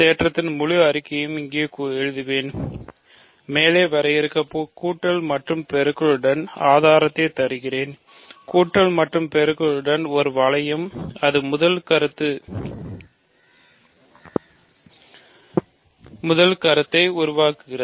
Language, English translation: Tamil, So, I will write the full statement of the theorem here and we will give a sketch of the proof with the addition and multiplication defined above; with the addition and multiplication is a ring, that is the first point